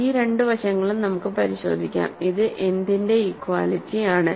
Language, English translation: Malayalam, So, let us check both of these sides, this is an equality of what